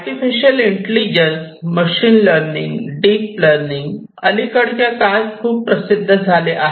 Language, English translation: Marathi, Artificial Intelligence, ML: Machine Learning, Deep Learning these things have become very popular in the recent years